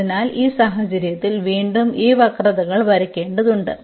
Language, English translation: Malayalam, So, in this case again we need to draw these curves here we have the 4